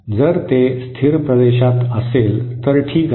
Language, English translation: Marathi, If it lies in the stable region, then that is fine